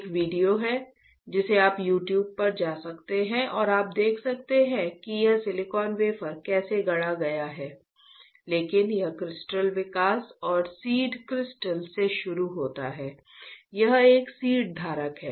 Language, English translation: Hindi, There is a video which you can go to YouTube and you can see how exactly this the silicon wafer is fabricated, but it starts with the crystal growth and seed crystal, this is a seed holder